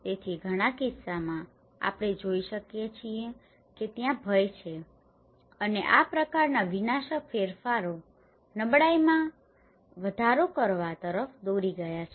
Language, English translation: Gujarati, So in many cases, we can observe that there is threat and such kind of cataclysmic changes have led to increase vulnerability